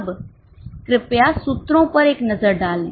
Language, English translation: Hindi, Now please have a look at the formulas